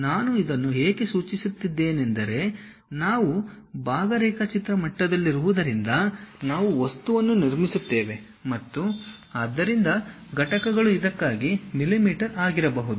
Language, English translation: Kannada, Why I am suggesting this is because we are at part drawing level we construct an object with so and so units may be mm for this